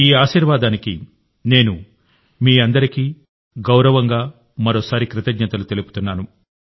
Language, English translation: Telugu, I once again thank you all with all due respects for this blessing